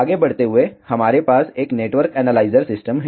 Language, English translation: Hindi, Moving next we have a network analyzer system